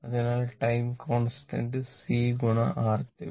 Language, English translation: Malayalam, So, tau is equal to C R Thevenin